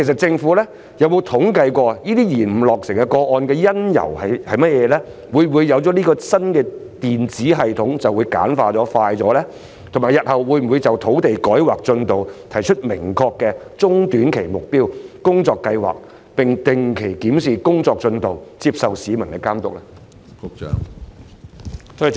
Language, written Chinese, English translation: Cantonese, 政府有否統計單位延誤落成的原因；會否引入新的電子系統以簡化及加快審批程序；以及日後會否就土地改劃進度提出明確的中短期目標及工作計劃，並定期檢視工作進度及接受市民的監督？, Has the Government compiled statistics on the reasons for delayed completion of housing developments; will it introduce a new electronic system to streamline and expedite the vetting and approval process; will it formulate specific short - and medium - term goals and work plans in respect of the rezoning progress in the future and will it review on a regular basis the work progress and accept public supervision?